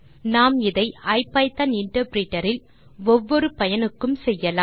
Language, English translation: Tamil, Let us do it in our IPython interpreter for ease of use